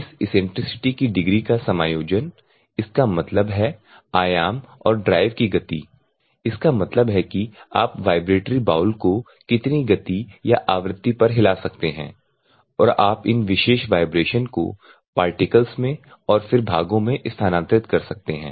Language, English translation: Hindi, Adjusting the degree of eccentricity; that means, that amplitude and the drive speed; that is how much speed or frequency we you can shake the bowl, which is there vibratory bowl and you can transfer these particular vibrations to the particles then to the parts